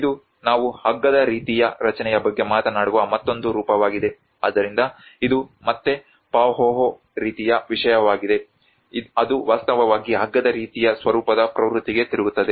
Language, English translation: Kannada, \ \ \ This is another form we talk about the ropy structure, so that is where this is again a Pahoehoe sort of thing which actually twist into a trend of ropy format